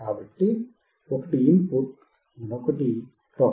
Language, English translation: Telugu, So, one is input another one is ground